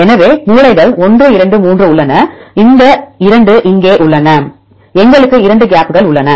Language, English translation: Tamil, So, there are corners 1, 2, 3, right these 2 are here